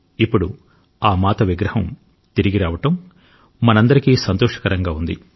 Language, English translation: Telugu, Now the coming back of her Idol is pleasing for all of us